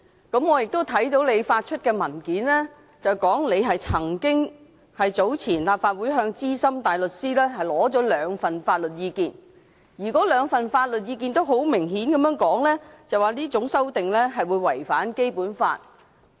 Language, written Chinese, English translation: Cantonese, 我對此深表關注，因為你在所發出的文件中表示，早前立法會曾向資深大律師取得兩份法律意見，而該兩份法律意見都明確表示這項修訂建議會違反《基本法》。, I have grave concern over this proposal because as stated in your ruling the two sets of legal advice obtained by the Legislative Council from Senior Counsel had made it clear that this proposal would contravene the Basic Law